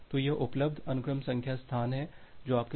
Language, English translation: Hindi, So, this is the available sequence number space which is there with you